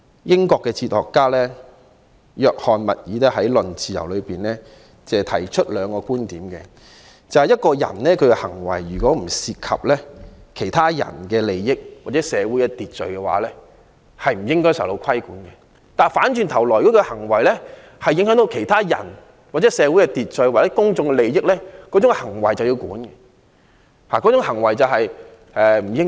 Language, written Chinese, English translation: Cantonese, 英國哲學家約翰.密爾在《論自由》中提出兩個觀點，即如果一個人的行為不涉及其他人的利益或社會秩序，便不應該受到規管，但如果他的行為影響其他人、社會秩序或公眾利益，這種行為便不妥，應受到規管。, English philosopher John Stuart MILL raised two points in his book On Liberty that is a persons behaviour should not be subject to regulation if it does not involve other peoples interest or social order but if his behaviour affects other people social order or public interest it is then inappropriate and should be subject to regulation